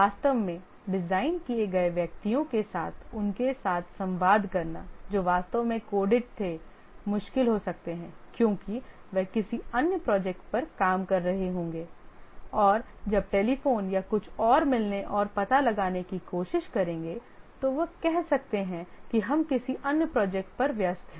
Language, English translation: Hindi, Communicating with them with the persons who actually designed, who actually coded may become difficult because they might be working on another project and when the telephone or something and try to meet and find out they may say that we are busy on another project